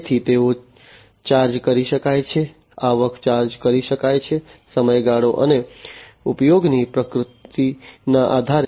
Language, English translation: Gujarati, So, they can be charged, the revenues can be charged, based on the duration, and the nature of usage